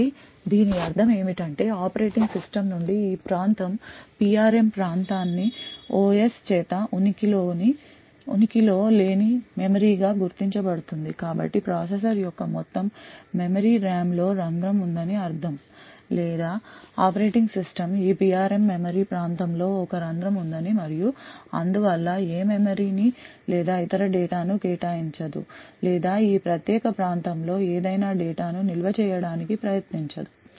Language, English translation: Telugu, So what this means from an operating system is that this region the PRM region is identified by the OS as non existent memory so it means that there is a hole in the entire memory RAM’s of the processor or rather the operating system sees this PRM as a hole in the memory region and therefore would not allocate any memory or any other data or try to store any data in this particular region